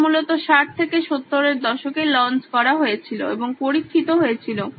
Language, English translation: Bengali, This was originally launched in the 60s 70s and has been on tested and launched in the 60s 70s